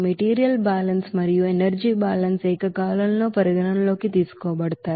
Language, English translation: Telugu, Material balance and energy balance simultaneously will be considered